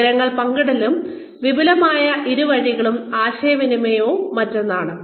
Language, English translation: Malayalam, Information sharing, and extensive two way communication, is yet another one